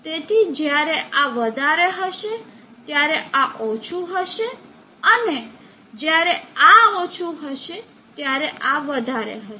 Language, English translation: Gujarati, So when this is high this will become low, and when this is low that becomes high